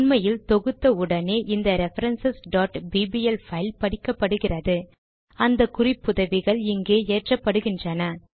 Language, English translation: Tamil, As a matter of fact, the moment we compile this file references.bbl is read, and those references are loaded here